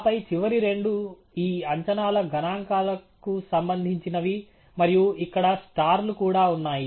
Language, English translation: Telugu, And then, the last two pertain to the statistics on these estimates and there are also stars here